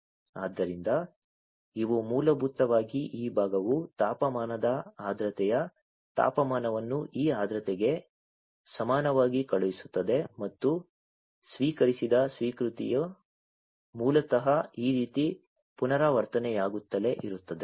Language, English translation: Kannada, So, these are basically this part sending temperature humidity temperature equal to this humidity equal to this and acknowledgement received this basically keeps on repeating like this